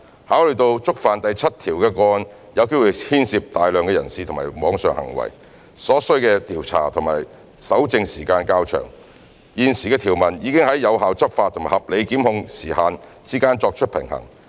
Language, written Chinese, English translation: Cantonese, 考慮到觸犯第7條的個案有機會牽涉大量人士或網上行為，所需的調查及搜證時間較長，現時的條文已在有效執法及合理檢控時限之間作出平衡。, Given that breaches of clauses 7 will highly likely involve a large number of people or online acts which will take longer time for investigation and evidence collection the present provision has struck a balance between effective law enforcement and reasonable time limit for prosecution